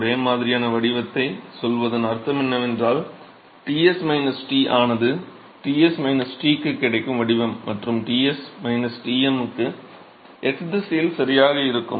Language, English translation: Tamil, What it means to say similar profile is that Ts minus T the profile that you will get for Ts minus T and that for Ts minus Tm would be exactly the same in the x direction